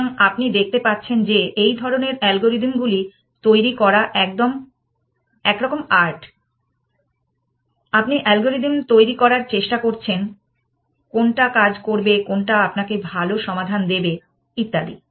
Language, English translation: Bengali, So, again you can see that somehow this design of such algorithms is kind of you know little bit of an art, you are trying to device algorithm, which will work which will give you good solutions and so on